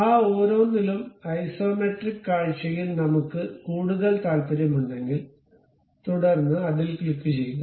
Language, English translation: Malayalam, In that single one also, we are more interested about isometric view, then click that